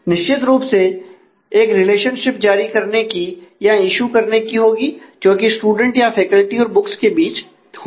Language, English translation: Hindi, So, certainly there will have to be a relationship of issue between the student or faculty in the books